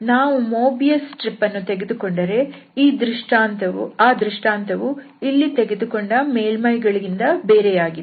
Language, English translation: Kannada, But if we consider this Mobius stripe then the situation is not so what we have here for such surfaces